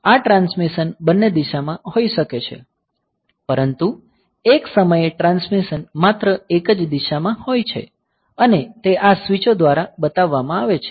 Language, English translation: Gujarati, So, this transmission can be in both the direction, but at one point of time transmission is in one direction only; so, when it is connected to